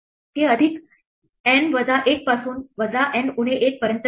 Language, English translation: Marathi, It goes from plus N minus one to minus N minus 1